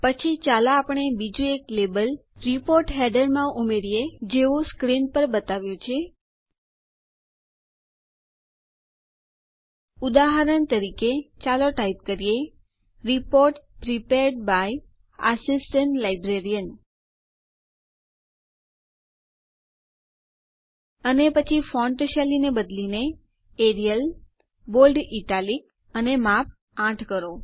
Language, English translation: Gujarati, Next, let us add another label to the report footer as shown on the screen ltpausegt For example, lets type, Report Prepared by Assistant Librarian ltpausegt and then change the font style to Arial, Bold Italic and Size 8